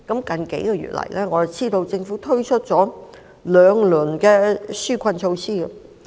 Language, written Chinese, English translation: Cantonese, 近數月，我們知道政府推出了兩輪紓困措施。, In the past couple of months we know that the Government has introduced two rounds of relief measures